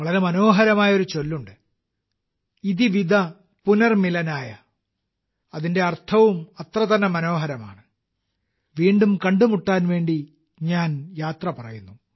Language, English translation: Malayalam, There is a very lovely saying – ‘Iti Vida Punarmilanaaya’, its connotation too, is equally lovely, I take leave of you, to meet again